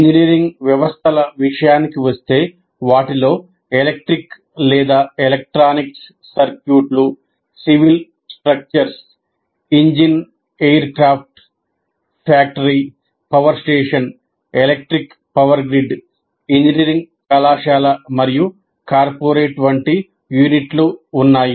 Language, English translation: Telugu, And when it comes to engineering systems, they include any kind of unit, electric or electronic circuits, a civil structure, an engine, an aircraft, a factory, a power station, an electric power grid, even an engineering college and a corporate, these are all engineering systems